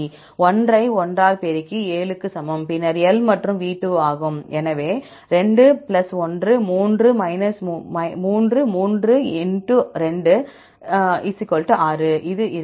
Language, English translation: Tamil, So, 1 multiplied by 1, equal to 7 and then L and V are 2; so 2+1; 3; 3×2 = 6, this will be